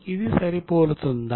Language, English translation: Telugu, Is it matching